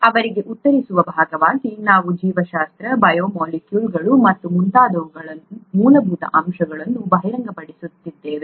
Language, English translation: Kannada, As a part of answering them, we are uncovering very fundamental aspects of biology, biological molecules and so on